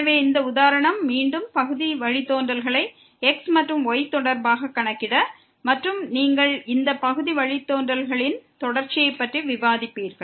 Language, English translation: Tamil, So, this example again to compute the partial derivatives with respect to and with respect to and also you will discuss the continuity of these partial derivatives